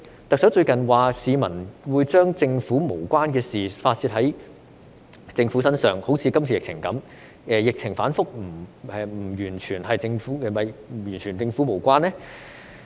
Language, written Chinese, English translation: Cantonese, 特首最近說市民會把與政府無關的事發泄在政府身上，正如這次的疫情一樣，但疫情反覆是否完全與政府無關呢？, The Chief Executive recently said that the public would put the blame and vent their grievances on the Government for things which has nothing to do with it such as the epidemic . But does the volatile epidemic situation have absolutely nothing to do with the Government?